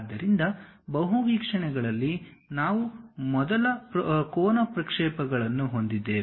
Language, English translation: Kannada, So, in multi views, we have first angle projections